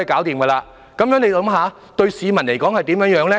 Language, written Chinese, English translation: Cantonese, 大家想想，這對市民有甚麼影響？, Just consider this What is the implication of this to the public?